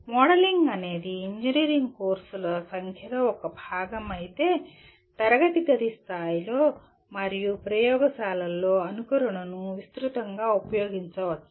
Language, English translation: Telugu, While modeling is a part of number of engineering courses, simulation can be extensively used at classroom level and in laboratories